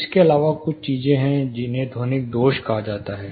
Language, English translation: Hindi, Apart from this, there are certain things called acoustic defects